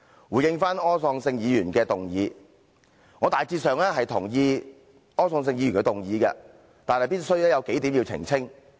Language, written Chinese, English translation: Cantonese, 回應柯創盛議員的議案，我大致上贊同柯創盛議員的議案，但有數點必須澄清。, Regarding the motion of Mr Wilson OR I generally agree with it yet several points require clarification